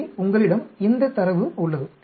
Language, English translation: Tamil, So, you have this data